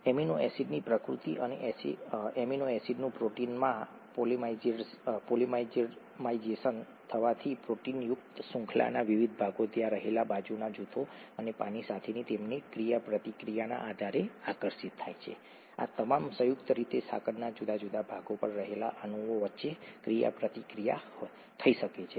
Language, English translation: Gujarati, By the very nature of amino acids and the polymerisation of amino acids into proteins, different parts of the proteinaceous chain would attract depending on the side groups that are there and their interactions with water, all these combined, there could be interactions between molecules that are on different parts of the chain